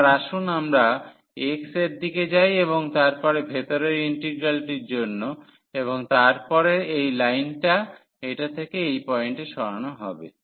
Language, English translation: Bengali, So, let us go in the direction of x and then for the inner integral and then this line will move from this to that point